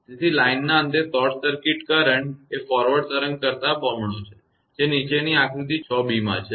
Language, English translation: Gujarati, Therefore, the current at the short circuit end of the line is twice the forward current wave as down in figure 6 b